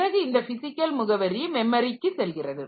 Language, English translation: Tamil, So, these are the memory addresses